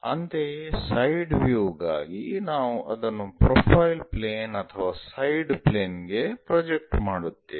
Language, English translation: Kannada, Similarly, for side view we will projected it on to profile plane or side plane